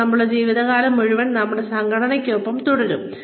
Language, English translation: Malayalam, Sometimes, we stay, with the organization, for our entire lives